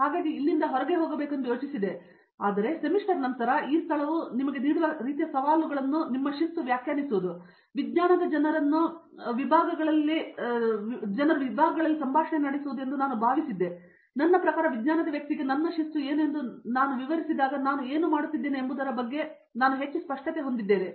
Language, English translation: Kannada, So, I thought maybe I should move out from here, but then after a semester or so I thought the kind of challenges this place gives you is to define your discipline, is to have a dialogue across disciplines to make the science people I mean when I explain what my discipline is to a science person I have more clarity over what I am doing